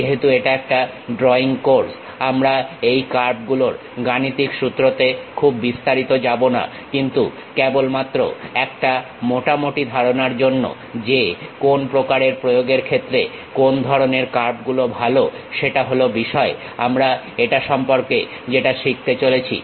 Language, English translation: Bengali, Because it is a drawing course we are not going too many details into mathematical formulation of these curves ah, but just to have overall idea about what kind of curves are good for what kind of applications, that is the thing what we are going to learn about it